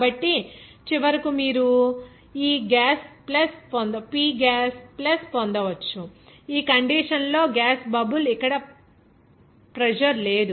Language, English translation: Telugu, So, finally, you can get that this P gas plus here at this condition, gas bubble, there is no pressure